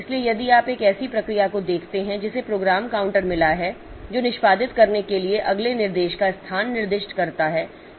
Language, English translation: Hindi, So, if you look into a process that has got a program counter that specifies the location of the next instruction to execute